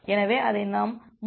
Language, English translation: Tamil, So, we have seen that earlier